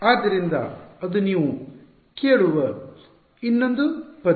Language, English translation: Kannada, So, that is another word you will hear